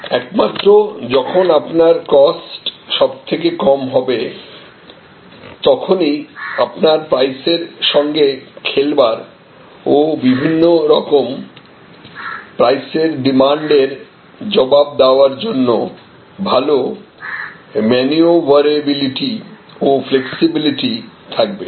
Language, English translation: Bengali, Because, it is only when you have the lowest costs, you have the best maneuverability or the best flexibility to play with pricing and respond to different types of price demands